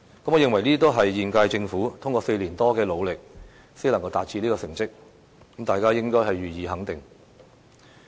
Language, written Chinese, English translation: Cantonese, 我認為，這些都是現屆政府通過4年多的努力才能夠取得的成績，大家應該予以肯定。, In my view these achievements can only be realized with the efforts of the present Government over the past four years and should command our approval